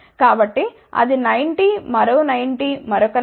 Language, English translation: Telugu, So, that will be 90 another 90 another 90